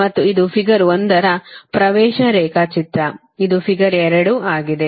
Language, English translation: Kannada, and this is the admittance diagram of figure one, that is, this is figure two